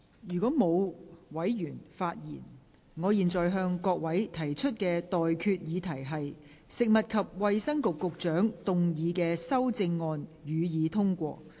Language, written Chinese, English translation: Cantonese, 如果沒有委員想發言，我現在向各位提出的待決議題是：食物及衞生局局長動議的修正案，予以通過。, If no Member wishes to speak I now put the question to you and that is That the amendments moved by the Secretary for Food and Health be passed